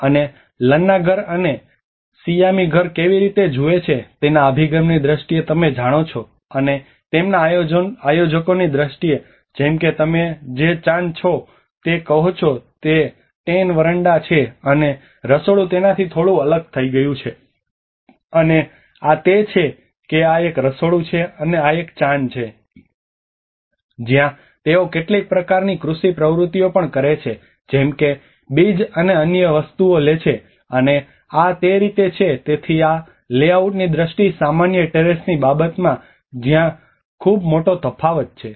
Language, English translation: Gujarati, And the Lanna house and the Siamese house how they differ you know in terms of their orientation, and in terms of their organizers, like you have the Chan they call it is the terrace the Tenn veranda and the kitchen has been little isolated from it and that is how this is a kitchen and this is a Chan where they do even some kind of agricultural activities like taking out the seeds and other things, and this is how the common terrace so this is a very slight difference in there in terms of the layout